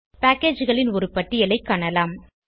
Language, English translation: Tamil, You will see a list of packages